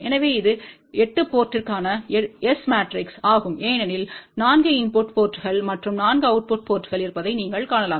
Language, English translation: Tamil, So, this is the S matrix for 8 port because you can see that there are 4 input ports and 4 output port